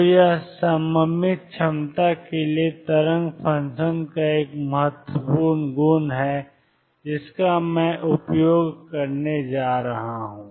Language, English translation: Hindi, So, this is an important property of the wave function for symmetric potentials which I am going to make use of